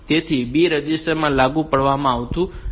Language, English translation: Gujarati, So, B register is not implemented